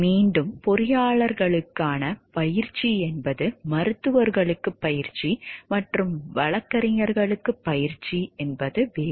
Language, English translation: Tamil, Again training for engineers is different rather than for physicians, that for physicians and lawyers